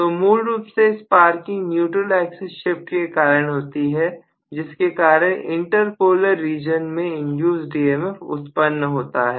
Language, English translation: Hindi, So the sparking is essentially caused by the shift of the neutral axis due to which there is an induce EMF in the inter polar region